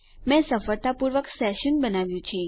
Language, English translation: Gujarati, Ive successfully created my session